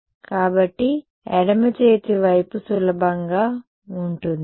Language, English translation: Telugu, So, the left hand side is going to be easy